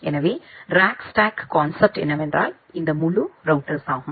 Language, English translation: Tamil, So, the concept of rack stack is that this entire router